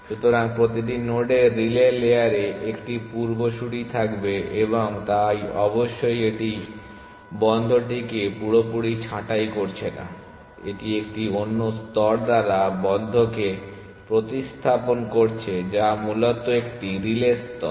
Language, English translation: Bengali, So, every node will have 1 ancestor in the relay layer and so on essentially, so of course it is not pruning the close completely it is replacing close by a another layer essentially which is a relay layer essentially